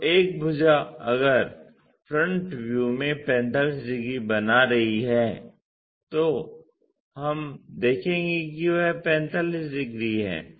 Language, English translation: Hindi, So, one of the sides if it is making 45 degrees in the front view we will see that 45 degrees